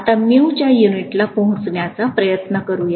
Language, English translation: Marathi, Let us try to take a look at what the units are